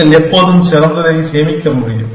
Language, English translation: Tamil, You can always store the best